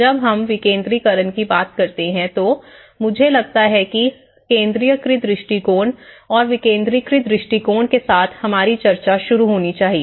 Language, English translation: Hindi, When we talk about decentralization, I think let’s start our discussion with the centralized approach and the decentralized approach